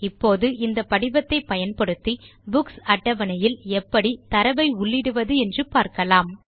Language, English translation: Tamil, Let us see how we can enter data into the Books table, using this form